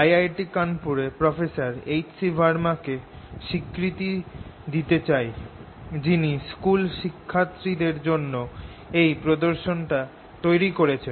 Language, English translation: Bengali, i want to acknowledge professor h c verma at i i t kanpur, who has developed these demonstrations for school going kids